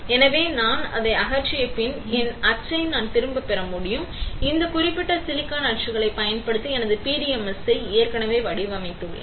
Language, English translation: Tamil, So, after I strip it off, I can get back my mould; and I have already patterned my PDMS using this particular silicon mould